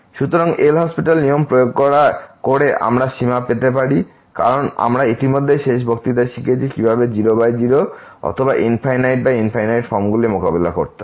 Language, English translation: Bengali, So, applying the L’Hospital rule we can get the limit because we have already learnt in the last lecture how to deal search forms 0 by 0 or infinity by infinity